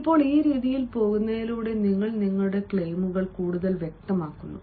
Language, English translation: Malayalam, now, by going in this way, you are making your claims more specific